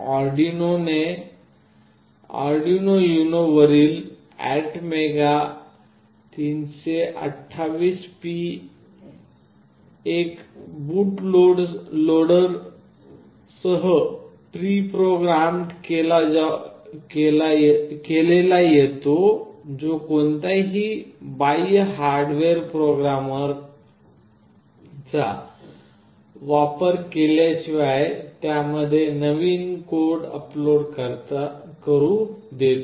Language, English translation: Marathi, The ATmega328P on the Arduino UNO comes pre programmed with a boot loader that allows to upload new code to it without the use of any external hardware programmer